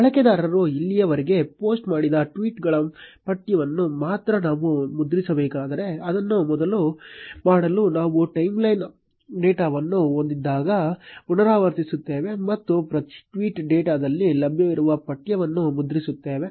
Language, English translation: Kannada, What if we had to print only the text of the tweets which the user has posted so far, to do that, we are going to iterate over timeline data one by one and print the text available in each tweet data